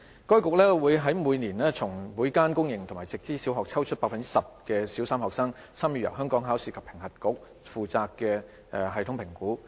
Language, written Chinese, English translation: Cantonese, 該局會每年從每間公營及直資小學抽出百分之十的小三學生，參與由香港考試及評核局負責的系統評估。, Each year EDB will sample 10 % of the Primary 3 students from each public sector and Direct Subsidy Scheme DSS primary school to participate in TSA which is administered by the Hong Kong Examinations and Assessment Authority HKEAA